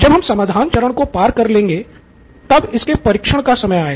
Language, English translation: Hindi, So after we have done with solution now is the time to go and test it out